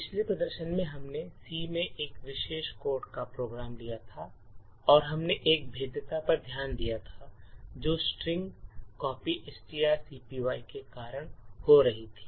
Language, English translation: Hindi, So, in the previous demonstration we had taken a particular code a program in C and we had actually looked at a vulnerability that was occurring due to string copy